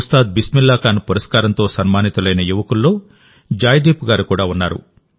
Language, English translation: Telugu, Joydeep ji is among the youth honored with the Ustad Bismillah Khan Award